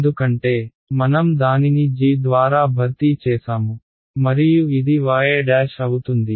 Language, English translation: Telugu, Because I have replace it by g and this will be y 1 y prime right